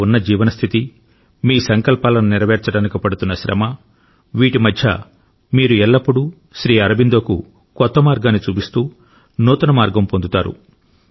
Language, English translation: Telugu, The state of inner consciousness in which you are, where you are engaged in trying to achieve the many resolves, amid all this you will always find a new inspiration in Sri Aurobindo; you will find him showing you a new path